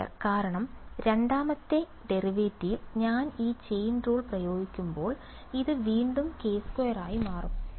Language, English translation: Malayalam, k squared right because the second derivative when I apply this chain rule, once again it will become k squared